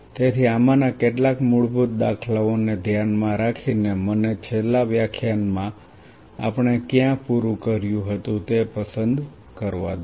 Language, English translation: Gujarati, So, keeping these some of these basic paradigms in mind let me pick up where we left in the last class